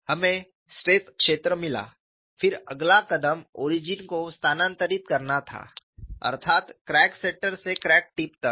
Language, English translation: Hindi, We got the stress field then the next step was shift the origin that means from center of the crack to the tip of the crack